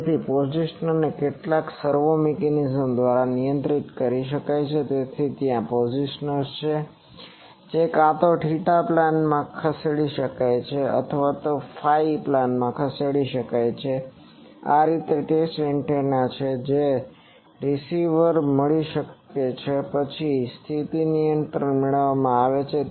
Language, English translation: Gujarati, So, positioner can be controlled by some servo mechanism, so there are positioners which can be either move in theta plane or move in phi plane also; this is the from the test antenna you are getting the receiver then position is getting control